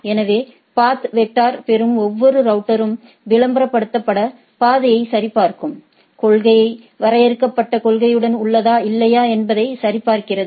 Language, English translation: Tamil, So, each router that receives a path vector verifies the advertised path is in the agreement with defined policy or not